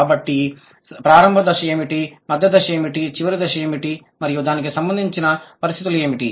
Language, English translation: Telugu, What are the final stage and what are the conditions associated with it